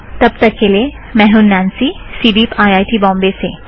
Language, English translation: Hindi, Till then, this is Nancy from CDEEP, IIT Bombay, signing off